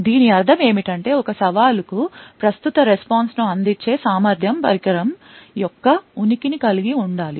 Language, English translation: Telugu, What this means is that the ability to actually provide the current response to a challenge should require the presence of the device